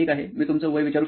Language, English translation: Marathi, Can I ask your age